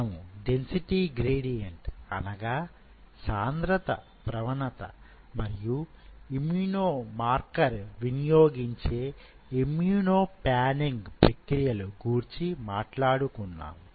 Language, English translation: Telugu, We have talked about density gradient and we have talked about immuno panning where you are using an immune marker